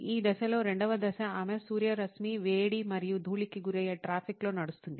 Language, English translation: Telugu, The second step during the phase is she rides in traffic exposed to sunlight, heat and dust